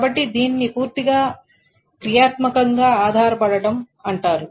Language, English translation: Telugu, So that is why it is fully functionally dependent